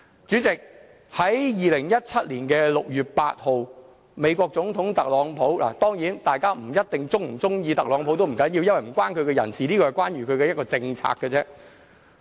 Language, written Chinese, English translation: Cantonese, 主席，在2017年6月8日，美國總統特朗普——當然，大家不一定喜歡特朗普，不要緊，因為這與他個人無關，只與他的政策有關。, President the US President Donald TRUMP announced on 8 June 2017 a plan to overhaul the nations infrastructure . Of course I understand that not everyone here will be fond of Donald TRUMP . It does not matter as it is nothing personal